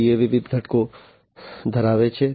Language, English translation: Gujarati, And SCADA has different components